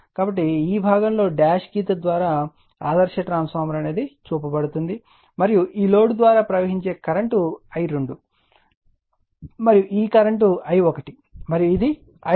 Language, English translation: Telugu, So, this at this portion that is why by dash line in this portion is shown by ideal transformer, right and current flowing through this load is I 2 and this current is I 1 and this is I 2 dash